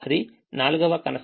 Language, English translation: Telugu, that's the fourth constraints